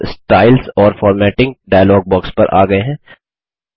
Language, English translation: Hindi, We are back to the Styles and Formatting dialog box